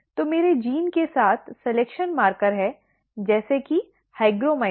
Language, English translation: Hindi, So, along with the my gene, there is selection marker such as hygromycin